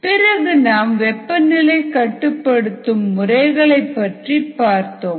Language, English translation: Tamil, then we looked at some aspects of temperature control